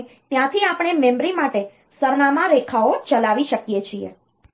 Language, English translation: Gujarati, And from there we can drive the address lines for the memory